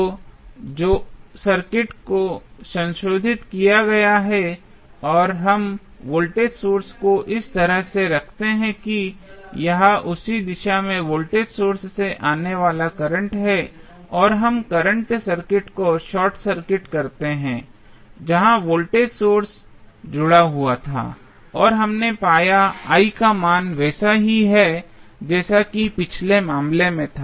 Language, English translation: Hindi, So, the circuit which is modified and we place the voltage source in such a way that it is the current coming out of the voltage sources in the same direction and we short circuit the current I these segment where the voltage source was connected and we found that the value of I is same as it was there in the previous case